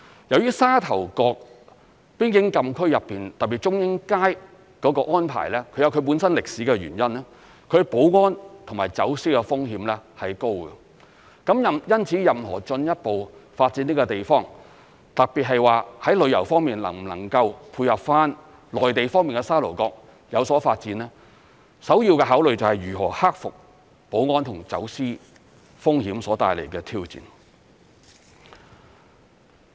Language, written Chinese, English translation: Cantonese, 由於沙頭角邊境禁區內，特別是中英街的安排，它有其本身歷史的原因，它的保安和走私風險是高的，因此任何進一步發展這個地方，特別是在旅遊方面能否配合內地方面而有所發展，首要的考慮就是如何克服保安和走私風險所帶來的挑戰。, In the Sha Tau Kok Frontier Closed Area particularly under the arrangement of Chung Ying Street the security and smuggling risks are high due to its own historical reasons . For this reason any further development of the area particularly whether tourism can be developed in coordination with the Mainland will primarily hinge on how the challenges posed by security and smuggling risks can be overcome